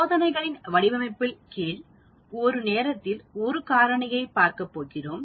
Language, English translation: Tamil, Then under design of experiments, we are going to look at one factor at a time